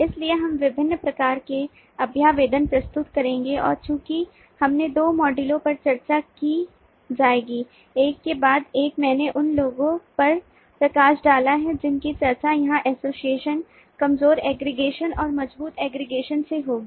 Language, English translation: Hindi, so we will introduce variety of representations and since this will be discussed in two modules, one after the other, i have highlighted the ones that will be discussed here: association, weak aggregation and strong aggregation